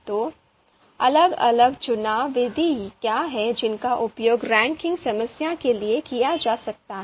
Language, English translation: Hindi, So what are the different you know ELECTRE methods which can be used for ranking problem